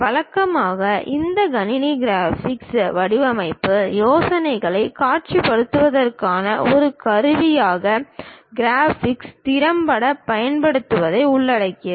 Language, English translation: Tamil, Usually this computer computer graphics involves effective use of graphics as a tool for visualization of design ideas